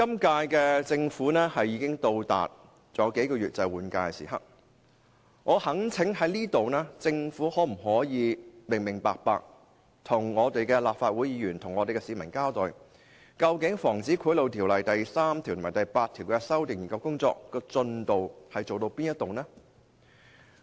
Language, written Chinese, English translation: Cantonese, 今屆政府尚餘數月便到換屆的時刻，我在此懇請政府向市民和立法會議員清楚交代，究竟《防止賄賂條例》第3條及第8條的修訂研究工作進度為何？, With the term of the incumbent Government expiring in a few months I hereby implore the Government to give a clear explanation to the public and Members of the Legislative Council on the work progress of the study of the amendment to sections 3 and 8 of the Prevention of Bribery Ordinance